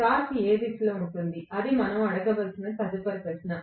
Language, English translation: Telugu, The torque will be in which direction, that is the next question we have to ask as well